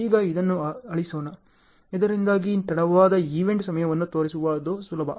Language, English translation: Kannada, Now let us erase this, so that it is easy to show the late event times